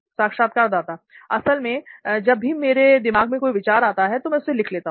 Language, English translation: Hindi, Actually the thing is like whenever I have something in my mind, I used to write it